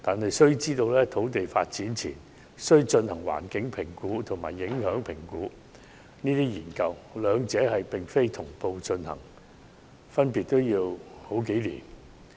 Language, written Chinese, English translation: Cantonese, 其實，土地發展前須進行環境評估及交通影響評估研究，兩者並非同步進行，分別需時數年。, In fact environmental and traffic impact assessments must be conducted before land development . The two studies lasting several years each do not take place concurrently